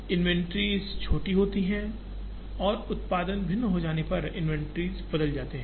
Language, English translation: Hindi, The inventories are smaller and the inventories change when the product becomes different